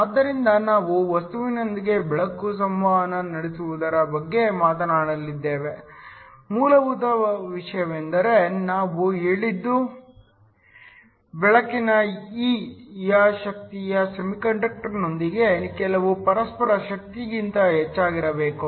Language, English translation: Kannada, So, we talked about light interacting with matter the basic thing we said was said that the energy of the light E must be greater than some interaction energy within the semiconductor